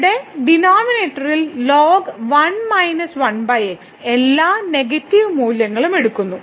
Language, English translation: Malayalam, So, here in the denominator minus 1 over are taking all negative value